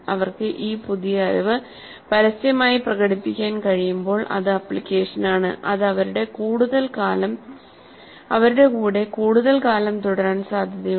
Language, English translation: Malayalam, When they are able to publicly demonstrate this new knowledge in its application, it is likely that it stays with them for much longer periods